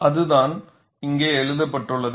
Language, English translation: Tamil, And that is what is written here